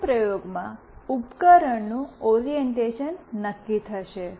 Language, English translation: Gujarati, In the first experiment will determine the orientation of the device